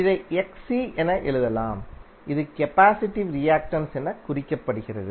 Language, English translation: Tamil, So what will write this this will simply write as Xc which is symbolized as capacitive reactance